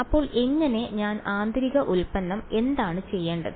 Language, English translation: Malayalam, So, how, what should I do inner product right